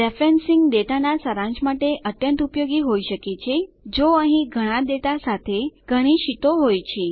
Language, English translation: Gujarati, Referencing can be very useful to summarise data if there are many sheets, with a lot of data content